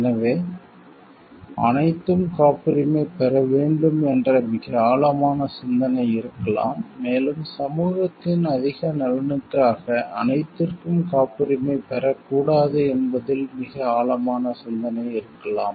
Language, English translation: Tamil, So, there can there has to be a very deep thought into what all should be patented, and what all should be not patented for the greater interest of the society at large